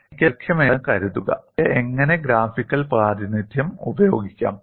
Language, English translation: Malayalam, Suppose, I have a longer crack, how I can use the graphical representation